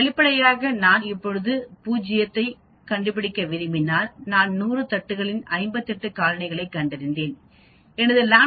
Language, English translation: Tamil, Obviously, if I want to find 0 now I found 58 colonies in 100 plates, my lambda will be equal to 0